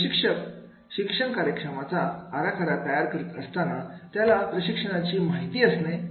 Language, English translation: Marathi, Trainer when designing a training program, he should have the profiles of the participants